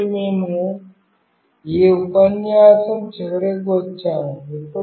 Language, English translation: Telugu, So, we have come to the end of this lecture